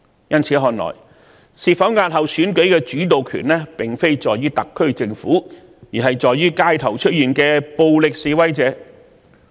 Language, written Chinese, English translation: Cantonese, 由此看來，是否押後選舉的主導權並不在特區政府手上，而是取決於街頭的暴力示威者。, It can thus be seen that when it comes to the postponement or otherwise of the DC Election the SAR Government is actually not in the driving seat and things are controlled in the hands of violent protesters on the street